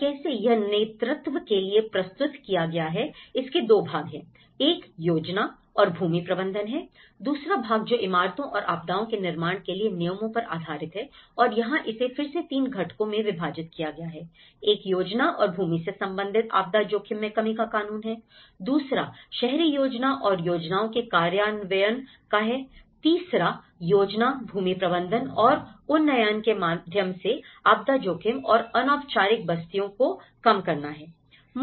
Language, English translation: Hindi, And how, this was presented for the leadership, there are 2 parts; one is the planning and land management, the second part which is on the regulations for the buildings and disaster resistant construction and here this has been again further divided into 3 components; one is the legislation for disaster risk reduction related to planning and land, the second one is the urban planning and implementation of plans, third one is reducing disaster risk and informal settlements through planning, land management and upgrading